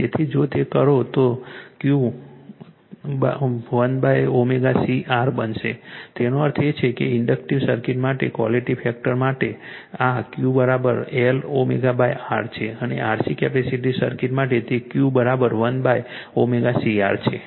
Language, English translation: Gujarati, So, if you do, so Q will become one upon omega C R right; that means, this for quality factor for inductive circuit is Q is equal to L omega by R and for capacitive circuit it is Q is equal to 1 upon omega C R right